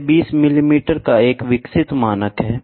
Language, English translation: Hindi, This is the developed one, this is a standard of 20 millimeters